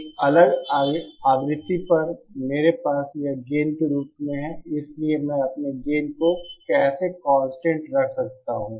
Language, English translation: Hindi, At a different frequency I have this as the gain, so how can I keep my gain constant